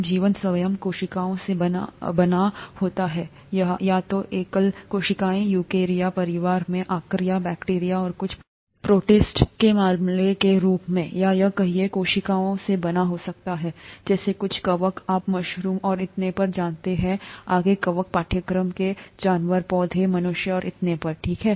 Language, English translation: Hindi, Then life itself is made up of cells, either single cells, as the case of archaea, bacteria and some protists, in the eukarya family, or it could be made up of multiple cells, such as some fungi, you know mushrooms and so on so forth, the fungi, animals of course, plants, humans, and so on, okay